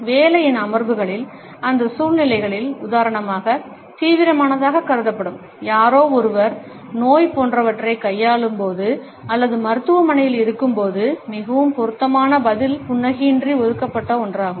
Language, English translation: Tamil, In sittings of work and in those situations, which are considered to be serious for example, when somebody is dealing with illness etcetera or is in hospital the most appropriate response is one that is reserved with no smile